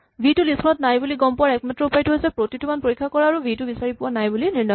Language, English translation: Assamese, v is not in the list the only way we can determine the v is not in the list is to check every value and determine that that value is not found